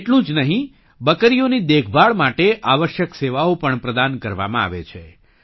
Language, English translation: Gujarati, Not only that, necessary services are also provided for the care of goats